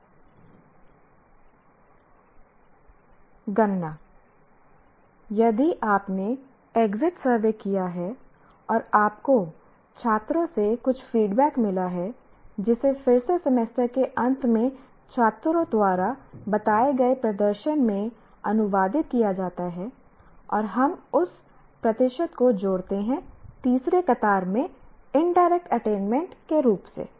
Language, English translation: Hindi, If you have conducted an exit survey and you got some feedback from the students which again is translated into some kind of a performance as perceived by the students at the end of the semester and we add that percentage as indirect attainment, the second third column